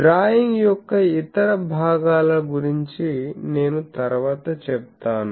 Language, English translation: Telugu, So, the other portions of the drawing I will come later